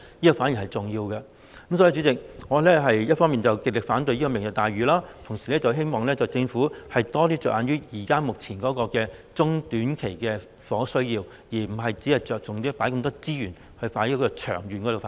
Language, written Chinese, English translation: Cantonese, 所以，代理主席，我一方面極力反對"明日大嶼"計劃，同時希望政府多着眼目前中短期的房屋需要，而不僅是着重投放這麼多資源作長遠發展。, Therefore Deputy President while I strongly oppose the Lantau Tomorrow Vision plan I hope that the Government will pay more attention to the short - and medium - term housing needs at present instead of merely focusing on putting in so many resources for long - term development